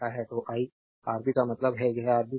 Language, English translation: Hindi, So, I cut Rab means, this Rab right